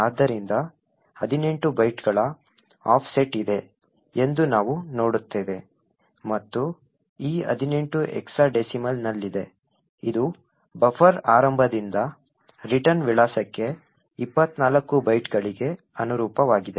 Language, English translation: Kannada, So, we see that there is an offset of 18 bytes and this 18 is in hexadecimal which corresponds to 24 bytes offset from the start of the buffer to the return address